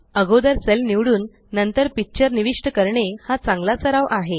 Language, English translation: Marathi, It is a good practice to select a cell and then insert pictures